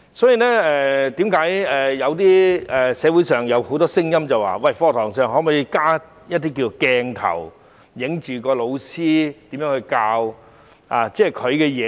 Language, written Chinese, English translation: Cantonese, 因此，為何社會上有很多聲音認為，可否在課室內安裝鏡頭，拍攝老師如何授課呢？, Therefore why are there so many voices in society suggesting whether it is possible to install cameras in classrooms to capture how teachers teach their lessons?